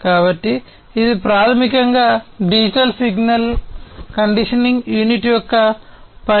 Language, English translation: Telugu, So, this is basically the work of the digital signal conditioning unit